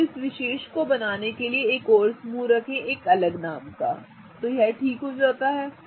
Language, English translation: Hindi, So, now in order to draw this particular or let's place another group a different name so it becomes clearer